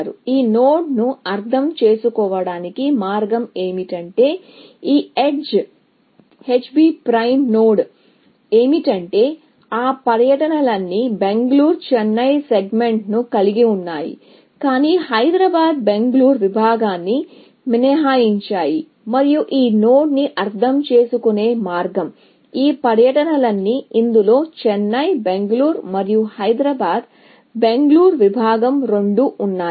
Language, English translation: Telugu, So, the way to interpret this node is that, this edge H B prime node is, that all those tours, which contain the Bangalore Chennai segment, but exclude the Hyderabad Bangalore segment, and the way to interpret this node is, all those tours, which contain both the Chennai Bangalore, and the Hyderabad Bangalore segment, essentially